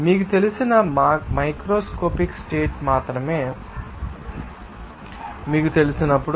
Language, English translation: Telugu, When only the macroscopic you know states are known to you